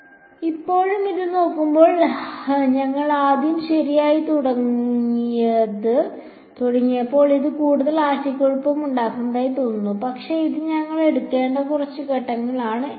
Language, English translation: Malayalam, So, still looking at this it is seem even more confusing when we first started out right, but it is a few steps that we have to take